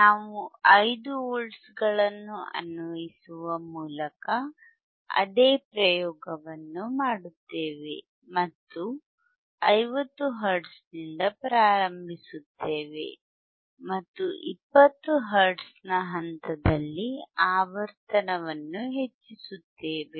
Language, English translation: Kannada, We will do the same experiment; that means, that will by applying 5 volts and will start from 50 hertz start from 50 hertz and increase the frequency at the step of 20 hertz increase the frequency at step of 20 hertz, right